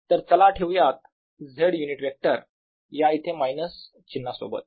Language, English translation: Marathi, so let us put z unit vector with the minus sign here